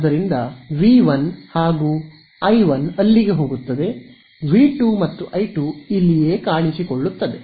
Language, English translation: Kannada, So, V 1 and I 1 goes in over here, V2 and I 2 appear over here right